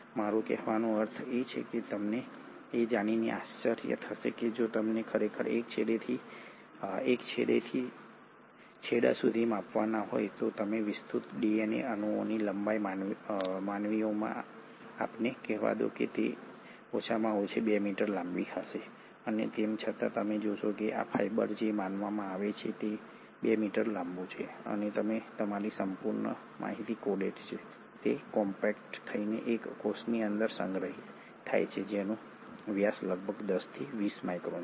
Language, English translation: Gujarati, I mean, you will be surprised to know that if you were to actually measure from end to end, the length of extended DNA molecules let us say in humans, it will be at least 2 metres long and yet you find that this fibre which is supposedly 2 metres long and has your entire information coded in it is compacted and stored inside a cell which is about 10 to 20 microns in diameter